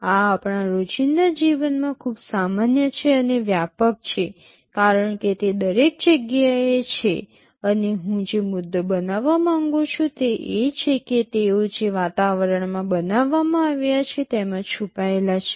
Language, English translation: Gujarati, These are far more common in our daily life and pervasive, as they are everywhere, and the point I want to make is that, they are hidden in the environment for which they were created